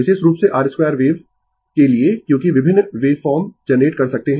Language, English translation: Hindi, Particularly, for your square wave because different wave form you can generate right